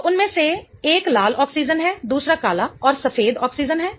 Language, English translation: Hindi, Okay, so one of them is red oxygen, the other one is the black and white oxygen